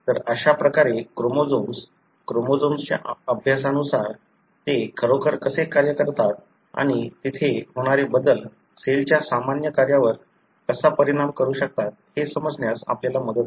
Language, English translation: Marathi, So, that is how the chromosomes, the study of chromosomes really helped us to understand how they function and how changes there may affect the cell normal function